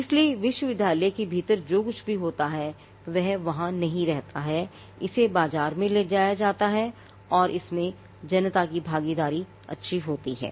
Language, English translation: Hindi, So, there is whatever happens within the university does not remain there, it is taken to the market and there is a public good involved in it